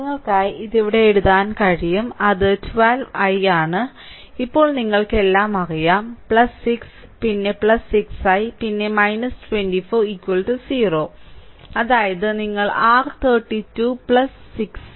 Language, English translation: Malayalam, So, therefore, you can make it I am writing it writing here for you, it is 12 I, then plus now you know everything plus 6, then plus 6 I, then minus 24 is equal to 0 right; that means, your 12 i plus 6 6 i 18 i is equal to 18, 18 i is equal to eighteen